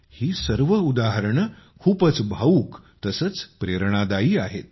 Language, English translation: Marathi, All these examples, apart from evoking emotions, are also very inspiring